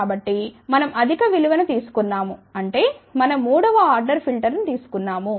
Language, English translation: Telugu, So, we took a higher value which means we took third order filter